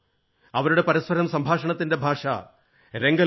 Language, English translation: Malayalam, They converse among one another in the Ranglo language